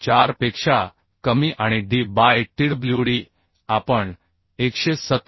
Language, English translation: Marathi, 4 and d by tw d we have considered as 117